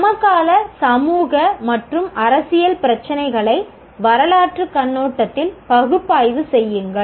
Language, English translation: Tamil, Analyze contemporary social and political issues in historical perspectives